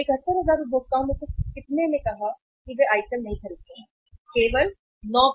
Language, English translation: Hindi, So out of that out of 71,000 consumers how many said that they do not buy the item, 9% only